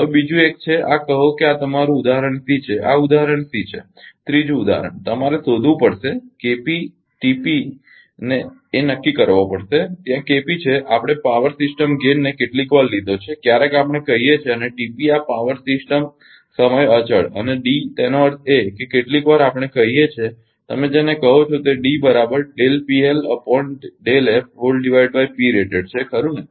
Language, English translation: Gujarati, Now another one is; this is say this is your example C this is example c the third example you have to determine the determine K p and T p like there is K p we have told the power system gain sometimes we call and T p the power system time constant and D; that means, sometimes we call that your what you call that is del del P L or del P L upon del f right